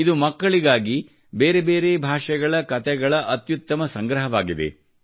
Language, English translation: Kannada, This is a great collection of stories from different languages meant for children